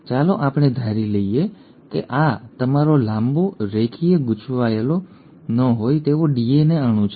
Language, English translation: Gujarati, Now, let us assume that this is your long, linear, uncoiled DNA molecule